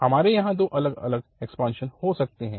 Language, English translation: Hindi, So, we can have two different expansions here